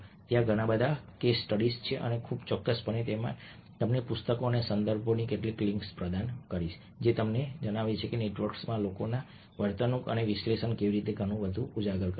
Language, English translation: Gujarati, there are lot of case studies and i will definitely provided with a couple of links to books and references which tell you how this analysis of people behaviors in networks